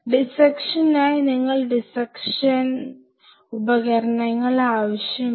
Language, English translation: Malayalam, So, for dissection you will be needing dissecting instruments